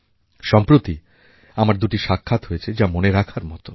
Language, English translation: Bengali, Just recently I had two memorable meetings